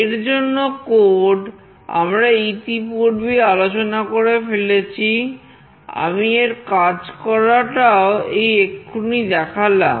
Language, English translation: Bengali, The code for the same was already discussed, I have just shown the demonstration